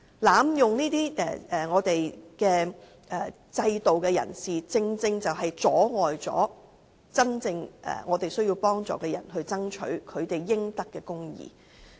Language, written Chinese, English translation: Cantonese, 濫用這些制度的人，正正阻礙了真正需要幫助的人爭取他們應得的公義。, Those who are abusing these systems have precisely obstructed those with genuine needs to fight for the justice that they deserve